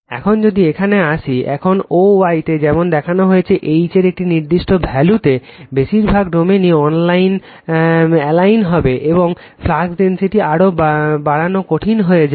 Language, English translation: Bengali, Now, if you come to this, now at a particular value of H as shown in o y, most of the domains will be you are aligned, and it becomes difficult to increase the flux density any further